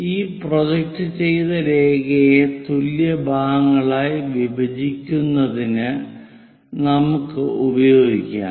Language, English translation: Malayalam, Let us use this projected line into equal number of parts